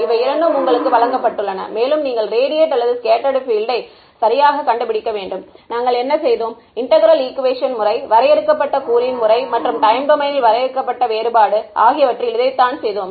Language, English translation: Tamil, These two are given to you and you have to find the radiated or scattered field right; this is what we did in integral equation methods, finite element method and finite difference time domain method right